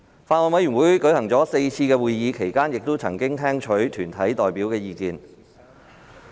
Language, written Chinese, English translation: Cantonese, 法案委員會舉行了4次會議，其間曾聽取團體代表的意見。, The Bills Committee has held four meetings during which views were received from deputations